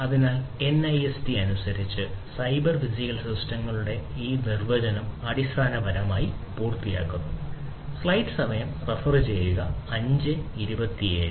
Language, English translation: Malayalam, So, that basically completes this definition of the cyber physical systems as per NIST